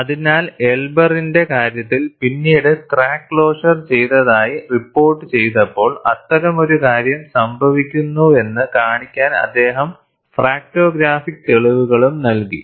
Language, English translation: Malayalam, So, in the case of Elber, when he reported the crack closure, later he also provided fracto graphic evidence to show, such thing happens